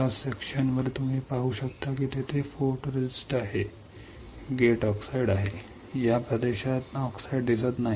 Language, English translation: Marathi, You can see on the cross section you can see a photoresist is there, , the gate oxide is there, there is no oxide you see in this region